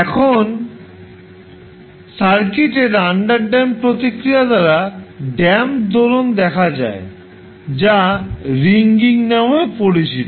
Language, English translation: Bengali, Now the damped oscillation show by the underdamped response of the circuit is also known as ringing